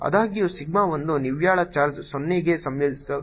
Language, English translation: Kannada, however, say sigma one is such the net charge integrate to zero